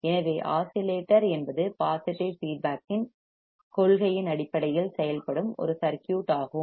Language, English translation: Tamil, So, oscillator is a circuit that works on the principle of positive feedback